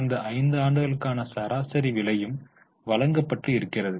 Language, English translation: Tamil, Average price is also given for last 5 years